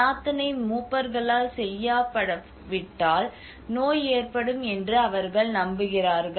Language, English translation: Tamil, If a prayer is not intoned by the elders, a sickness will occur